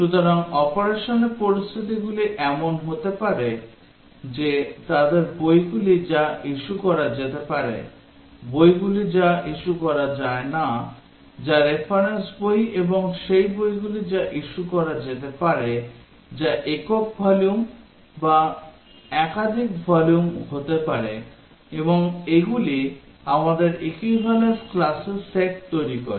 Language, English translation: Bengali, So the scenarios of operation may be that, their books are which can be issued out, books which cannot be issued out, which are reference books and those books which can be issued out that can be single volume or multiple volume, and these form our set of equivalence classes